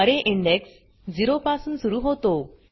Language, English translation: Marathi, Array index starts from 0